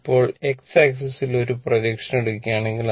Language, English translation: Malayalam, Now if you take a projection on the your x axis, right